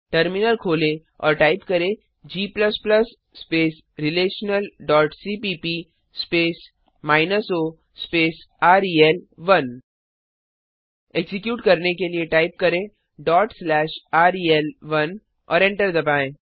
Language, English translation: Hindi, Open the terminal and type g++ relational.cpp space minus o space rel1 To execute Type ./ rel1, Press Enter